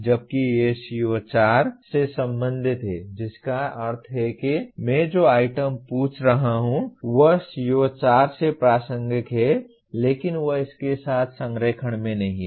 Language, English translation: Hindi, While these are related to CO4 that means the items that I am asking are relevant to CO4 but they are not in alignment with this